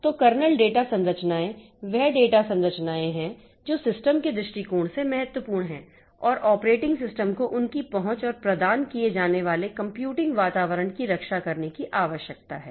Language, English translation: Hindi, So, kernel data structures are those data structures which are important from the system's perspective and the operating system needs to protect their access and the computing environment that is provided